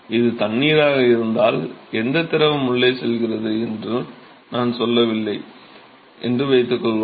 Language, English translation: Tamil, Here suppose if it is water, I did not tell you which fluid is going inside